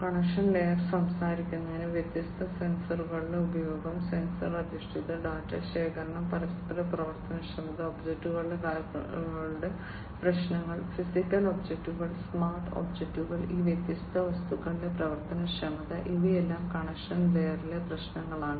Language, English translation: Malayalam, Connection layer is talking about the use of different sensors, the sensor based data collection, interoperability, issues of objects, physical objects, smart objects, functionality of these different objects, all these are issues at the connection layer